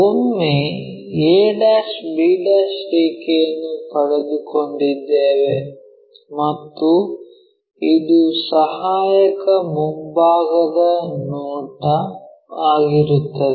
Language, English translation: Kannada, Once we have connect a' b' and this will be the auxiliary front view